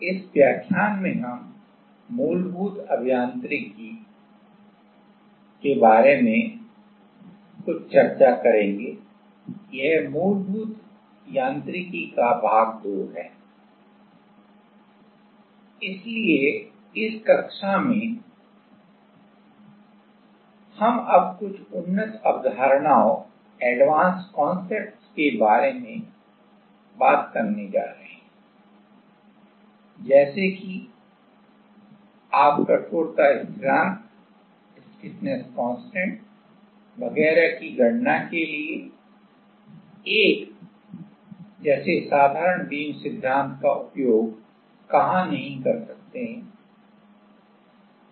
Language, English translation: Hindi, So, in this class, we are going to now talk about little bit advanced concepts like where you cannot use a for a like simple beam theory for calculating the stiffness constant etcetera